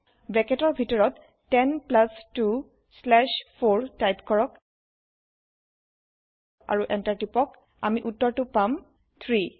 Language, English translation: Assamese, Type Within brackets 10 plus 2 slash 4 and Press Enter We get the answer as 3